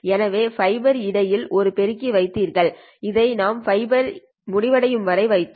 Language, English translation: Tamil, So you placed an amplifier between there is a fiber and so on we did until we ended up with the last amplifier